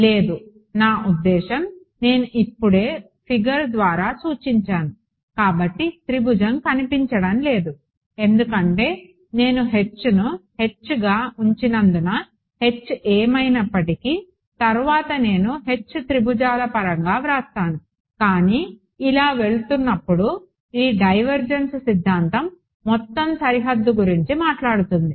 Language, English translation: Telugu, No, I mean I have just indicated by figure, but the triangle does not appear because I have kept H as H whatever H may be later I will write H in terms of triangles ok, but as this goes the this divergence theorem talks about the overall boundary